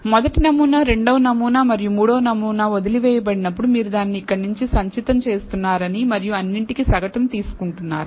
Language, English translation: Telugu, When the first sample, second sample and third sample was left out that you are cumulating it here and taking the average of all that